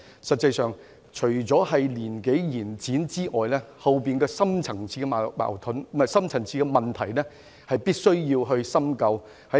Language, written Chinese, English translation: Cantonese, 實際上，除了延展退休年齡外，背後的深層次問題亦必須深究。, In fact apart from extending the retirement age of Judges the Government has to examine the deep - rooted causes for the problem